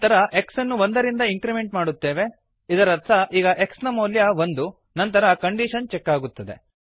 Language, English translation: Kannada, We print the value as 0 Then x is incremented by 1 which means now the value of x is 1, then the condition will be checked